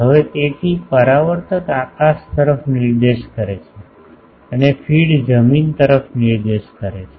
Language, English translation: Gujarati, Now, so with the reflector pointing towards the sky the feed is pointing toward the ground